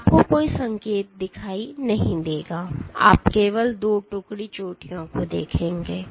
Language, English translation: Hindi, So, you will not see any signal you will only see 2 detachment peaks